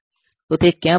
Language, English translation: Gujarati, So, where will it come back